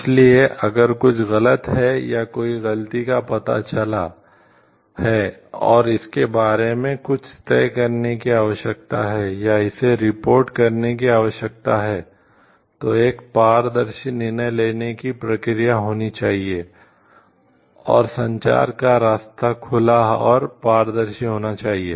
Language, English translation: Hindi, So, if some wrong or fault is detected and some decision needs to be taken about it, then or it needs to be communicated, they there should be transparent decision making process and the communication method open and transparent